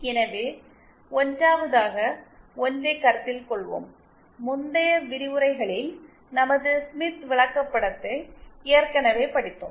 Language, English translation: Tamil, So let us consider 1st, we have already studied our Smith chart in the previous lectures